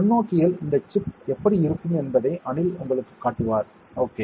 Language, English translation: Tamil, Anil to show it to you how this chip looks under the microscope, right